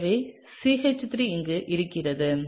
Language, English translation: Tamil, So, the CH3 would be here